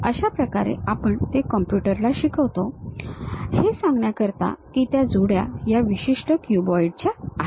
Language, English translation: Marathi, That is the way we teach it to the computer or store it to say that it is of that particular cuboid